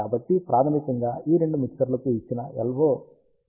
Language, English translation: Telugu, So, basically the LO given to both these mixtures are in phase